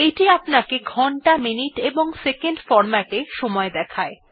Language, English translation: Bengali, It gives us only the time in hours minutes and seconds (hh:mm:ss) format